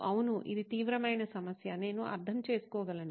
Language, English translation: Telugu, Yeah, it is a serious problem, I can understand